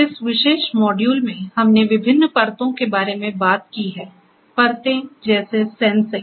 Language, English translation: Hindi, So, far in this particular module, we have talked about different layers; layer such as sensing